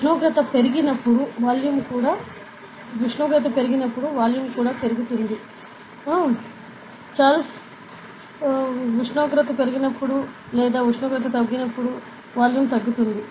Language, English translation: Telugu, So, when the temperature increases volume also increases, when temperature increases volume increases or temperature decreases, volume decreases